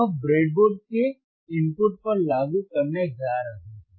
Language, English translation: Hindi, He is going to apply to the input of the breadboard